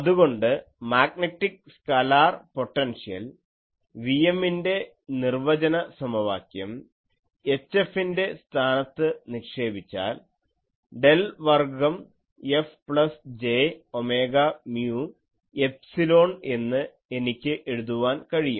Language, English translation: Malayalam, So, putting now the defining equation of the magnetic scalar potential Vm in place of H F, I can write del square F plus j omega mu epsilon